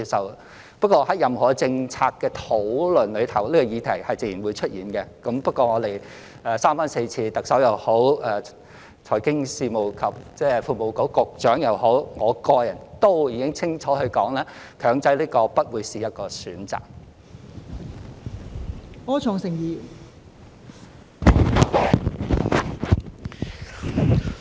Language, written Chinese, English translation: Cantonese, 然而，在任何政策的討論中，這個議題是自然會出現的，但無論是特首、財經事務及庫務局局長或我個人，都已經三番四次清楚說明，"強制"不會是一個選項。, Nevertheless this issue will naturally come up in any policy discussion but the Chief Executive the Secretary for Financial Services and the Treasury and I myself have made it clear time and again that making it mandatory is not an option